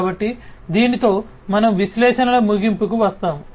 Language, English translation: Telugu, So, with this we come to an end of analytics